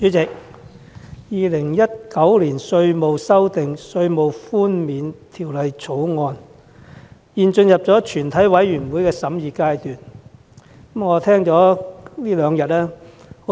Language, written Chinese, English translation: Cantonese, 主席，《2019年稅務條例草案》現進入全體委員會審議階段，我這兩天聽了很多發言。, Chairman the Inland Revenue Amendment Bill 2019 has now come to the Committee stage and I have listened to a lot of speeches over these two days